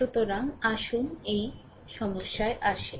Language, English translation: Bengali, So, let us come to this problem right